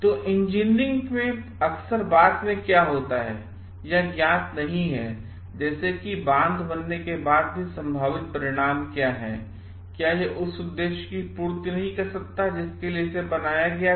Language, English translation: Hindi, So, what happens often in engineering, it is not known what the possible outcomes are like even after a dam is built; it may not serve the purpose for which it was built